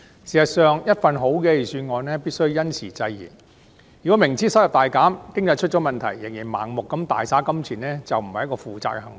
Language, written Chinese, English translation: Cantonese, 事實上，一份好的預算案必須因時制宜，如果司長明知收入大減、經濟出現問題，仍然盲目地大灑金錢，便是不負責任的行為。, In fact a good Budget must be responsive to the time . If the Financial Secretary spent blindly and lavishly even though he knew clearly the big drop in revenue and problems with the economy he was acting irresponsibly